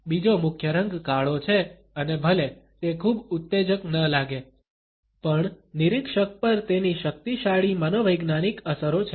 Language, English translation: Gujarati, Another major color is black and although it might not seem very exciting, it has powerful psychological effects on the observer